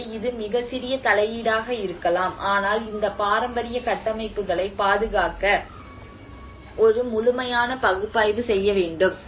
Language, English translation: Tamil, \ \ So, this is, it could be a very small intervention, but then a thorough analysis has to be done in order to protect these heritage structures